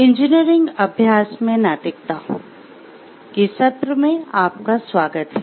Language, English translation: Hindi, Welcome to the session of ethics in engineering practice